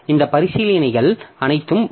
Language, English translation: Tamil, So, all these considerations will come